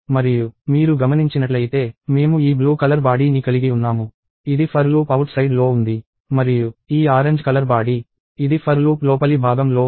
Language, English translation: Telugu, And if you notice, we have this blue body, which is on this outer for loop; and this orange body, which is the inner for loop